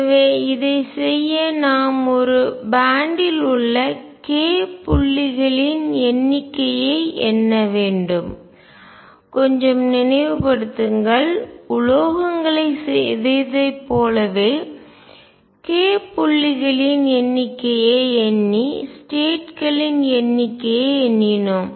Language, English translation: Tamil, So, to do this we need to count the number of k points in a band, just like recall in metals we counted number of states by counting the number of k points